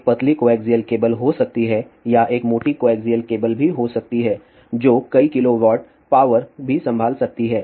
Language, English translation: Hindi, There may be a thin coaxial cable or there may be a this thick coaxial cable also which can handle several kilowatts of power also